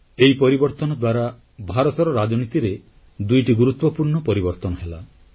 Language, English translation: Odia, This change brought about two important changes in India's politics